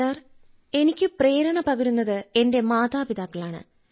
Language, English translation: Malayalam, Sir, for me my motivation are my father mother, sir